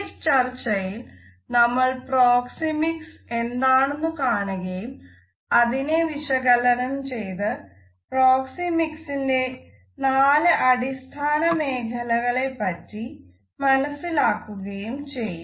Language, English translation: Malayalam, In this discussion we would look at Proxemics, try to define it and understand the four basic zones of Proxemics